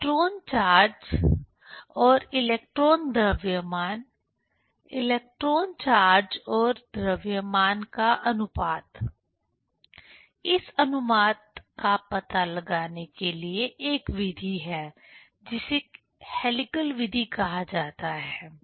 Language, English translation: Hindi, Electron charge and electron mass, ratio of electron charge and mass; how to find out this ratio using a method that is called helical method